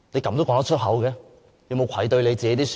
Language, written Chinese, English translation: Cantonese, 他會否感到愧對自己的選民？, Would he feel that he has failed to live up to the expectation of his voters?